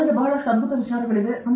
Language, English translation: Kannada, I have lot of brilliant ideas